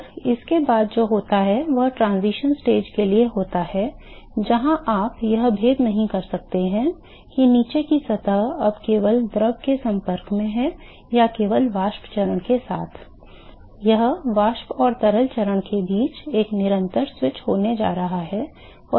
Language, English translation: Hindi, And what happens after that is for the transition stage where you cannot distinguish whether the bottom surface is now in contact only with the fluid or only with the vapor phase, it is going to be a constant switch between the vapor and the liquid phase